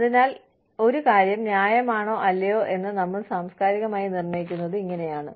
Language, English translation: Malayalam, So, this is how, we culturally determine, whether something is fair or not